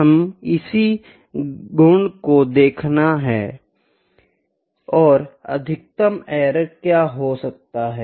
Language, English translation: Hindi, This is the property that we need to see that what could be the maximum error